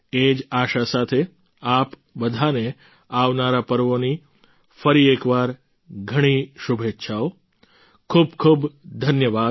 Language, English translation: Gujarati, With this wish, once again many felicitations to all of you for the upcoming festivals